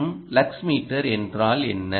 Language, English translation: Tamil, ok, and what is a lux meter